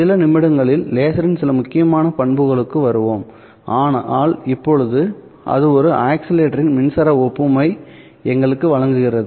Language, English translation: Tamil, We will come to some of the important characteristics of laser in a few minutes but for now it simply provides us with an electric analog of an oscillator